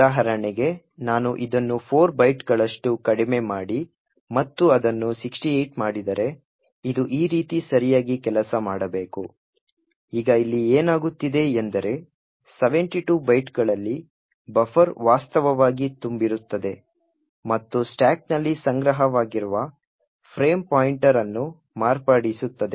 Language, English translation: Kannada, So for example if I use reduced this by 4 bytes and make it 68, this should work properly as follows, now what is happening here is that at 72 bytes the buffer is actually overflowing and modifying the frame pointer which is stored onto the stack, this is the smallest length of the string which would modify the frame pointer